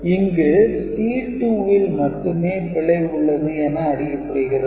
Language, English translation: Tamil, So, only C 2 will give you an indication that there is an error